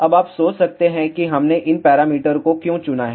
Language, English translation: Hindi, Now, you might wonder why we have chosen these parameters